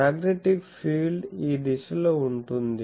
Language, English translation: Telugu, So, magnetic field is in this plane this direction